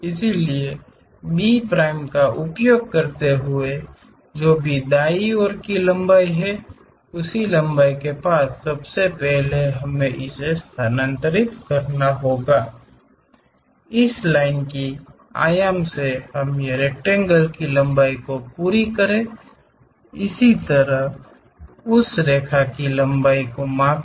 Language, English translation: Hindi, So, using B prime, whatever the length in the right side view we have that length first we have to transfer it, complete the rectangle measure length of this line; similarly, measure lengths of that line